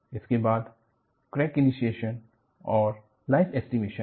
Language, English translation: Hindi, This is followed by Crack Initiation and Life Estimation